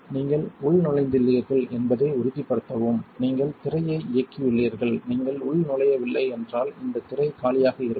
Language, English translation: Tamil, You also want to make sure that you are logged in has enabled the screen, this screen will be blank if you are not logged in